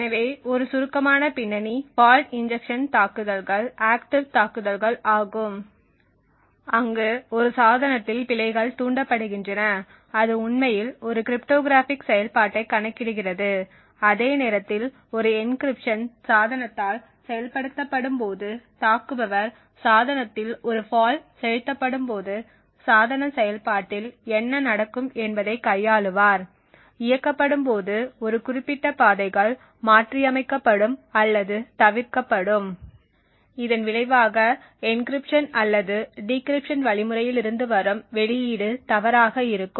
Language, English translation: Tamil, So just to give a brief background fault injections attacks are active attacks where faults are induced in a device while it is actually computing a cryptographic function for example while an encryption is being executed by the device an attacker would induce a fault into the device and manipulate the device operation what would happen when the fault is injected is that a certain paths during the execution would get modified or skipped and as a result the output from the encryption or the decryption would be incorrect